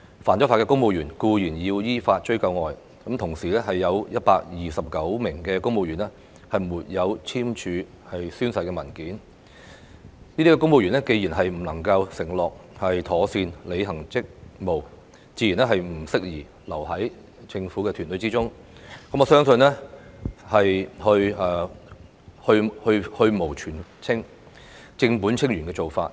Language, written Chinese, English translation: Cantonese, 犯法的公務員固然須依法追究，但除此以外，有129名公務員沒有簽署宣誓文件，這些公務員既然不能承諾妥善履行職務，自然不適宜留在政府團隊之中，我相信這是去蕪存菁、正本清源的做法。, Law - breaking civil servants should of course be dealt with in accordance with the law but apart from this there are 129 civil servants who have refused to sign the declaration as required . Since these civil servants have failed to undertake to properly execute their duties it will naturally not be suitable for them to stay in the government team and I believe that this is a proper way to weed out the improper elements and tackle the matter at source